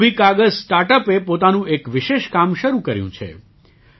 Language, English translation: Gujarati, KumbhiKagaz StartUp has embarked upon a special task